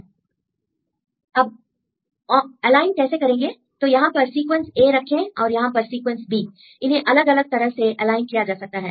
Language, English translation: Hindi, Now how to align; so here you put sequence a here and the sequence b here there are different ways to align